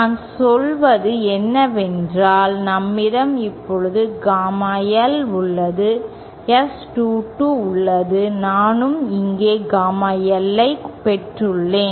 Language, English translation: Tamil, What I mean is, we now have gamma L here, S22 here, I also have gamma L here